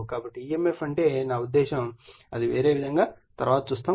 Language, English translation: Telugu, So, that means, emf on the I mean if you later we will see it will be a different way